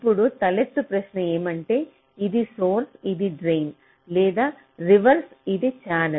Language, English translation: Telugu, now the question arises: this is source, this is drain, or the reverse, and this is the channel